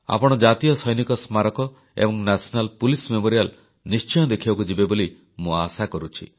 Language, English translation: Odia, I do hope that you will pay a visit to the National Soldiers' Memorial and the National Police Memorial